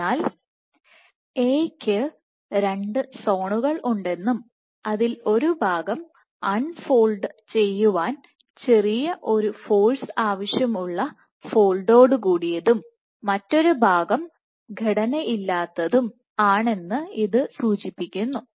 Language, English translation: Malayalam, So, it suggests that you have 2 zones of a maybe one part of which does fold and that requires a smaller force to unfold, and another part of it which is unstructured